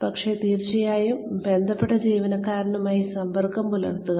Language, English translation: Malayalam, But, definitely stay in touch, with the concerned employee